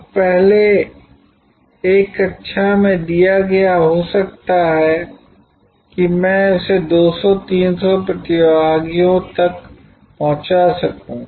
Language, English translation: Hindi, Now, delivered to earlier in a class I might have been able to deliver it to maybe 200, 300 participants